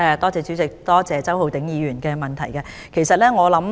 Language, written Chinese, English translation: Cantonese, 主席，感謝周浩鼎議員的補充質詢。, President I thank Mr Holden CHOW for his supplementary question